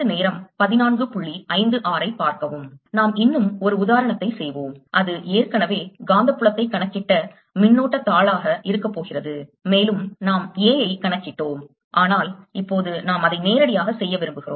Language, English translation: Tamil, let's do one more example, and that's going to be that of a sheet of current for which we have already calculated magnetic field and we also calculated a